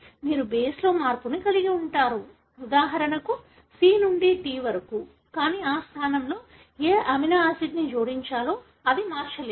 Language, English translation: Telugu, You do have a change in the base, for example from C to T, but it did not alter which amino acid should be added in that position